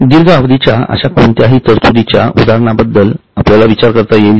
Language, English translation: Marathi, Can you think of any example of any provision which is long term in nature